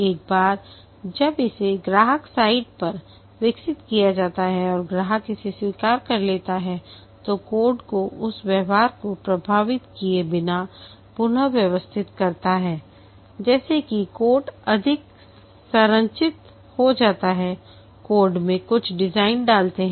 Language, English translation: Hindi, Once it is developed at the customer site and the customer accepts it, restructure the code without affecting the behavior such that the code becomes more structured, put some design into the code